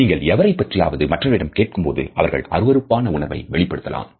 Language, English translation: Tamil, You could ask your opinion about someone and they might show disgust